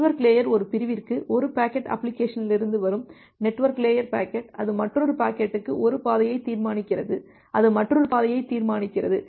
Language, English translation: Tamil, And the network layer it may happen that for one segment, one packet which is coming from the application the network layer packet, it decides one path for another packet it decides another path